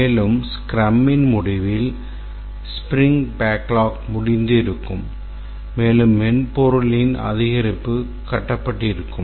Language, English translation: Tamil, And at the end of the scrum, the sprint backlog would have got exhausted and an increment of the software would have got built